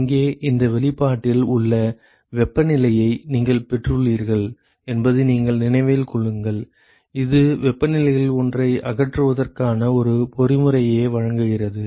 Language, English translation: Tamil, Remember that you got in your temperatures in this expression here, it provides a mechanism to eliminate the one of the temperatures